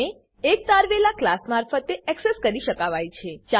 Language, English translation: Gujarati, They can be accessed by a derived class